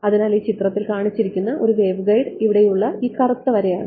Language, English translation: Malayalam, So, a waveguide as shown in this figure over here is this black strip over here